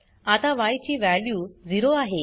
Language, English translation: Marathi, Now the value of x is 2